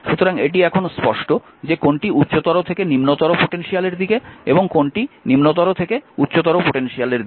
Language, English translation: Bengali, So, this is clear to you, that which is higher to lower and lower to higher potential, right